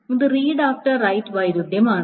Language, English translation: Malayalam, So that is a read after write conflict